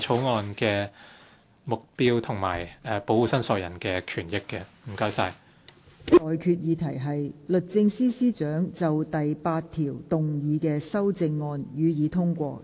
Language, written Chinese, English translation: Cantonese, 我現在向各位提出的待決議題是：律政司司長就附表動議的修正案，予以通過。, I now put the question to you and that is That the amendment moved by the Secretary for Justice to the Schedule be passed